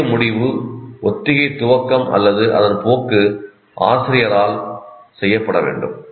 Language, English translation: Tamil, The main conclusion is the rehearsal, initiation and direction is that by the teacher